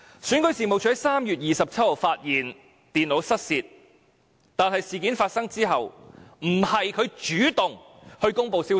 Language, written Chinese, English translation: Cantonese, 選舉事務處在3月27日發現電腦失竊，但事件發生後，不是它主動公布消息。, REO did not proactively report the theft of their notebook computers to the public after the incident took place on 27 March